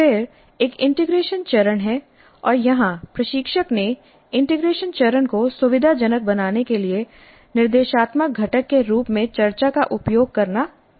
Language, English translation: Hindi, Then there is an integration phase and here the instructor has chosen to use discussion as the instructional component to facilitate the integration phase